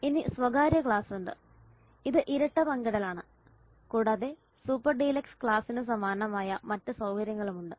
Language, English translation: Malayalam, Then there is the private class which is twin sharing and other facilities same as the super deluxe class